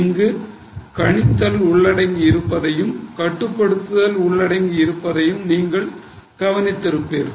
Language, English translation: Tamil, So, you would observe estimating is also involved and controlling is also involved